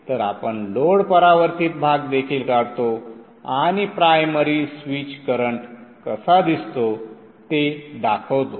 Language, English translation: Marathi, So let me draw also the load reflected part and show you how the primary switch current looks like